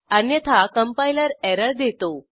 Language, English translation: Marathi, Otherwise the compiler will give an error